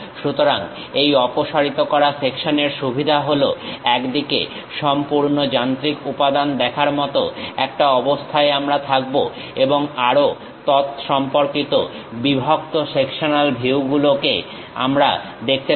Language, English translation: Bengali, So, the advantage of this removed section is, at one side we will be in a position to see the complete machine element and also respective cut sectional views we can see